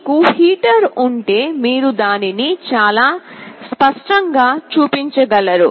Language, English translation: Telugu, If you have a heater you can show it in a very clear way